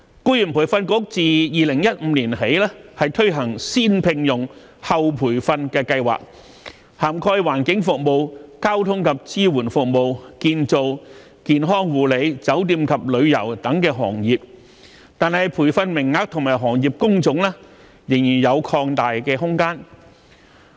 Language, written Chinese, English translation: Cantonese, 僱員再培訓局自2015年起推行"先聘用、後培訓"計劃，涵蓋環境服務、交通及支援服務、建造、健康護理、酒店及旅遊等行業，但培訓名額和行業工種仍有擴大的空間。, Since 2015 the Employees Retraining Board ERB has introduced the First - Hire - Then - Train Scheme covering trades and industries like environmental services transportation and support services construction healthcare services hotel and tourism and so on . Yet there is still room for expansion in training quota and industry categories